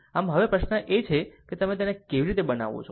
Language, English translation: Gujarati, So now, question is that ah ah how to make it